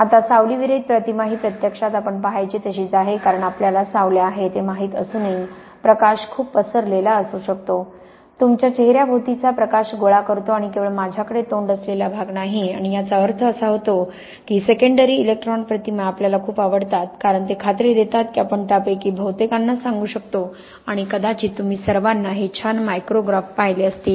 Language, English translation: Marathi, Now, shadowless image is actually kind of what we used to seeing, because even though we know we have shadows, light can be quite diffused, collecting light from all around your face, not just the part facing to me and this means that secondary electron images, we tend to like a lot, because they kind of ensure that we can relate most of them in tell and you are probably all seen these nice micrographs